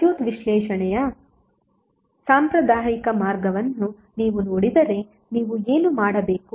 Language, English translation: Kannada, If you see the conventional way of circuit analysis what you have to do